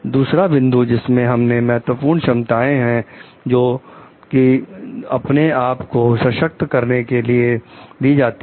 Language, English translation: Hindi, Second will come to the second important competency which is empowers others to self organize